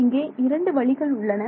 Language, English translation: Tamil, There are two ways